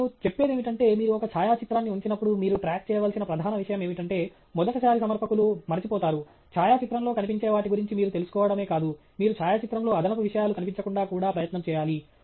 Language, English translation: Telugu, I would say, the main thing that you should keep track of when you put up a photograph, which again, first time presenters forget, is that not only should you be aware of what is visible in the photograph, you should also make an effort to ensure that extraneous things are not seen in the photograph